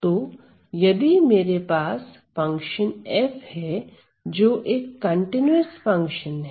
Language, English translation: Hindi, So, if I have a function f which is a continuous function